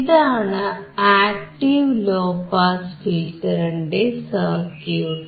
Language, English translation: Malayalam, This is a circuit of an active low pass filter